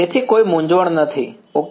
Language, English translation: Gujarati, So, that there is no confusion ok